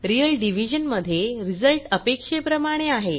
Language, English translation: Marathi, In real division the result is as expected